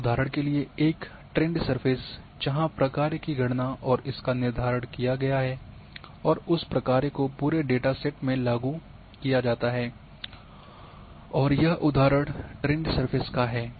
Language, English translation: Hindi, And for example, a trend surfaces where the function has been calculated and determined and that function is applied throughout the data sets and that example is trend surfaces